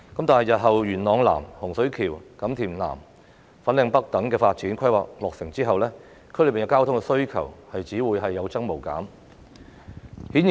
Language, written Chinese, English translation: Cantonese, 當日後元朗南、洪水橋、錦田南及粉嶺北等發展項目落成後，區內的交通需求只會有增無減。, Once the development projects in Yuen Long South Hung Shui Kiu Kam Tin South and Fanling North are completed one after another transport demand within the districts will only increase but not decrease